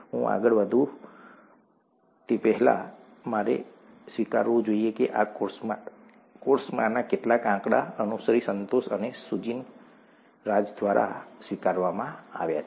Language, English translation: Gujarati, Before I go forward, I should acknowledge that some of the figures in this course have been adapted by Anushree Santosh and Sujin Raj